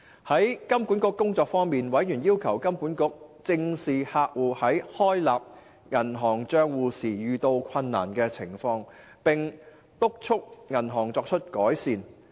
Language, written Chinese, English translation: Cantonese, 在香港金融管理局的工作方面，委員要求金管局正視客戶在開立銀行帳戶時遇到困難的情況，並督促銀行作出改善。, Regarding the work of the Hong Kong Monetary Authority HKMA members urged HKMA to look into the difficulties encountered by entities in opening bank accounts and to press banks to make improvement